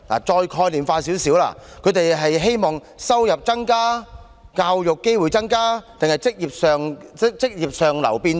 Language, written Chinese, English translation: Cantonese, 再概念化一點，他們是希望收入增加？教育機會增加？還是職業上流變動？, Conceptually speaking do they want to have more income more education opportunities or better jobs?